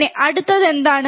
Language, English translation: Malayalam, Then, what is the next